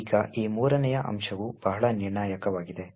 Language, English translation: Kannada, Now this third aspect is very critical